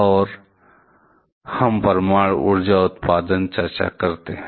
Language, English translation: Hindi, And now let us come to nuclear power generation